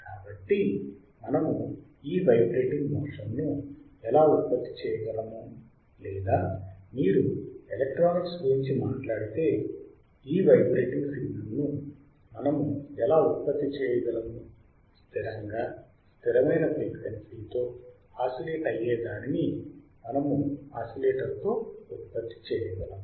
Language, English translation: Telugu, So, how we can generate this vibrating motion or how we can generate if you talk about electronics, how we can generate this vibrating signal right with the which is constant, which is constant right